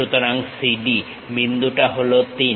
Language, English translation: Bengali, So, CD the point is 3